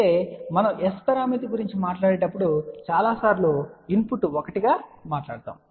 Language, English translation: Telugu, However many a times when we talk about S parameter we generally talk about input as 1